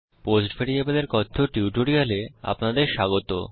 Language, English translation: Bengali, Welcome to the Spoken Tutorial on Post variable